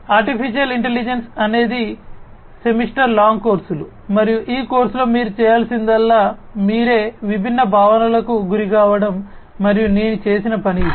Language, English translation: Telugu, Artificial intelligence are you know courses, semester long courses themselves and you know all you need to do in this course is just to get yourself exposed to the different concepts and which is what I have done